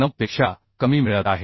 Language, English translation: Marathi, 33 and this is less than 9